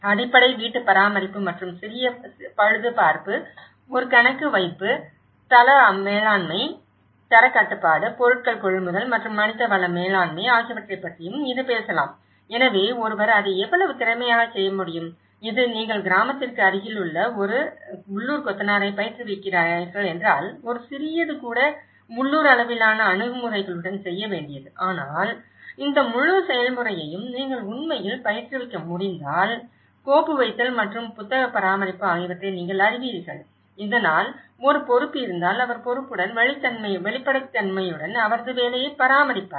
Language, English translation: Tamil, And it can also talk about basic housekeeping and minor repairs, a bookkeeping, site management, quality control, procurement of materials and manpower management so, how efficiently one can do it so, this is all to do with the kind of local level approaches and even a small if you are training a local mason near village but if you can actually train with this whole process you know the file keeping and the bookkeeping, so that there is an accountable, he will be accountable and he will maintain the transparency in his work